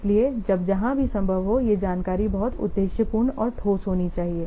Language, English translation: Hindi, So, wherever possible, this information should be very much objective and tangible